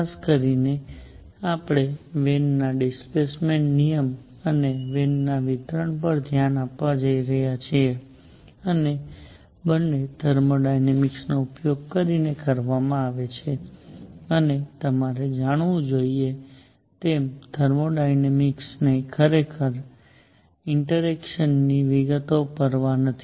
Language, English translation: Gujarati, In particular, we are going to look at Wien’s displacement law and Wien’s distribution and both are done using thermodynamics and as you must know, the thermodynamic does not really care about the details of interaction